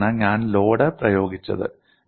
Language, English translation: Malayalam, And this is where I have applied the load